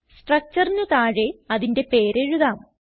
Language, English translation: Malayalam, Lets write its name below the structure